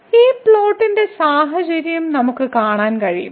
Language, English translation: Malayalam, We can see the situation in this plot